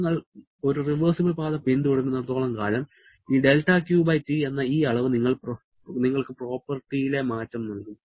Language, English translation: Malayalam, As long as you are following a reversible path, just this del Q/T this quantity is going to give you the change in property